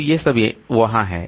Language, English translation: Hindi, So all these are there